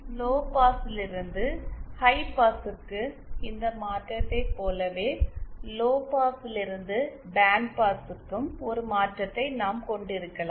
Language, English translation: Tamil, similar to this transformation from lowpass to high pass, we can also have a transformation from lowpass to bandpass